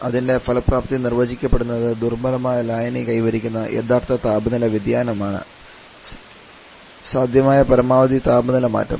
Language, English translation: Malayalam, Sorry, the actual temperature change the weak solution attains is the maximum possible temperature change